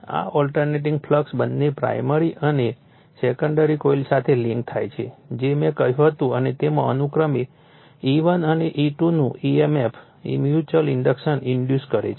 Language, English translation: Gujarati, This alternating flux links with both primary and the secondary coils right that I told you and induces in them an emf’s of E1 and E2 respectively / mutual induction